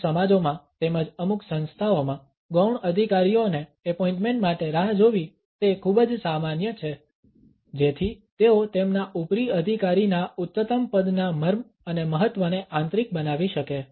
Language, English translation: Gujarati, It is very common in certain societies as well as in certain organizations to make the subordinates wait for the appointments so that they can internalize the significance and importance or the higher rank of their superior